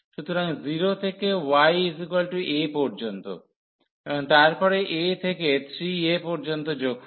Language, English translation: Bengali, So, from 0 to y is equal to a, and then the plus from a to 3 a